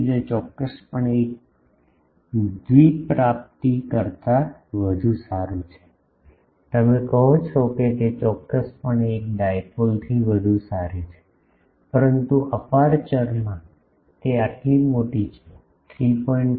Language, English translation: Gujarati, So, it is definitely better than a dipole, you say it is definitely better than a dipole, but in aperture thing, it is a such large thing 3